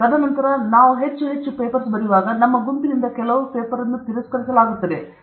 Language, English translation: Kannada, And then, when we write more and more papers, from our group some paper will get rejected; you should not worry